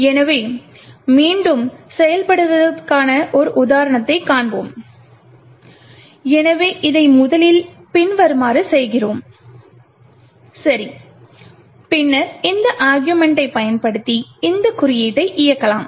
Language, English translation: Tamil, So, we will see an example of this working again, so we first make this as follows, okay and then we can run this particular code using this argument